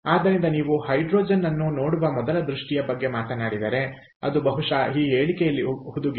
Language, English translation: Kannada, ok, so if you talk about the first vision of looking at hydrogen, probably that is embedded in this statement